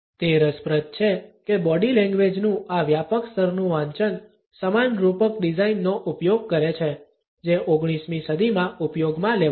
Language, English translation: Gujarati, It is interesting that this smart mass scale reading of body language uses the same metaphor design; uses the same metaphor the same design, which had been used in the 19th century